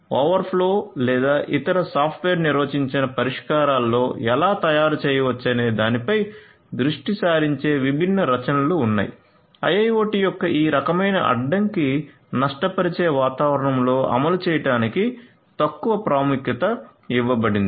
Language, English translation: Telugu, So, there are consequently different works that are focusing on how you can make in open flow or other software defined solutions, light weight for implementation in these kind of constant lossy environments of IIoT